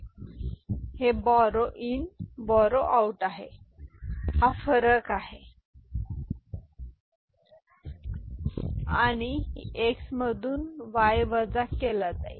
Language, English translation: Marathi, So, this is borrow in, this is borrow out this is the difference and this is x from which y is subtracted ok